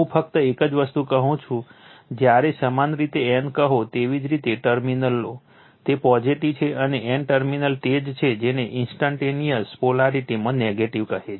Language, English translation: Gujarati, Only one thing I tell when you say a n, you take a terminal is positive, and n terminal is your what you call negative right in instantaneous polarity in instantaneous polarity